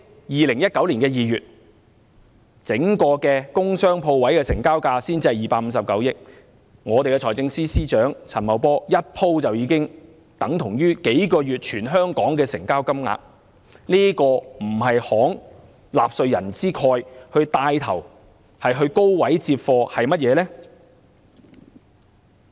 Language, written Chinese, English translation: Cantonese, 2019年首2個月工商鋪位成交總額只有259億元，財政司司長陳茂波一次過投放的金額已相等於全香港數個月的成交總額，這豈不是慷納稅人之慨、牽頭高位接貨？, A total transaction value of only 25.9 billion was recorded for industrial commercial and shop units in the first two months of 2019 . The one - off investment by Financial Secretary Paul CHAN is equivalent to the total transaction value in the entire Hong Kong in the past several months . Is he not acting generously at the expense of taxpayers in making purchases at high prices?